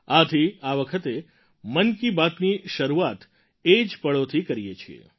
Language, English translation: Gujarati, Let us hence commence Mann Ki Baat this time, with those very moments